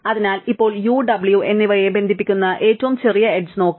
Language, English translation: Malayalam, So, now let us look at the smallest edge connecting u and w, right